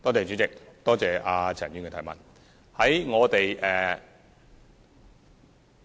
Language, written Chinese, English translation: Cantonese, 主席，多謝陳議員的提問。, President I thank Ms CHAN for her question